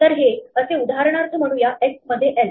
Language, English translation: Marathi, So, this is for example like say for x in l